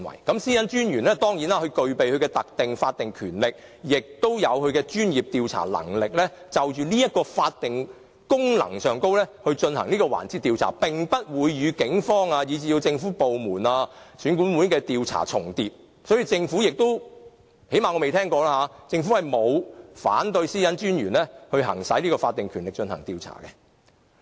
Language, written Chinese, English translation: Cantonese, 當然，私隱專員具備特定的法律權力，也具有專業調查能力，根據這個法定功能就這個環節進行的調查，並不會與警方，以至政府部門、選舉管理委員會的調查重疊，所以政府——最少我未聽過——沒有反對私隱專員行使法定權力進行調查。, Of course the Privacy Commissioner has specific legal rights and professional investigatory powers . His investigation in respect of this area in accordance with the statutory function will not duplicate with the investigations carried out by the Police other government departments and the Electoral Affairs Commission . Therefore as far as I know the Government has not objected to the investigation carried out by the Privacy Commissioner with his statutory power